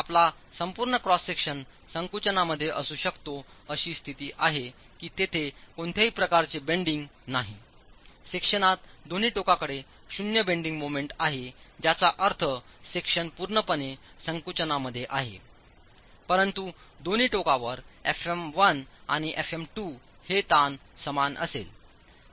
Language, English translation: Marathi, The full cross section can be in compression with the condition that there is no bending at all, zero bending moment on the section which means the two ends, the section is fully in compression but the two ends the stresses FM1 and FM2 are both going to be equal